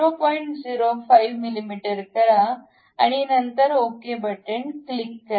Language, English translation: Marathi, 05 mm, then click ok